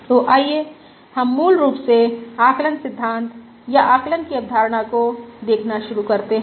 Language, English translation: Hindi, So [te] let us basically start looking at Estimation theory or concept of Estimation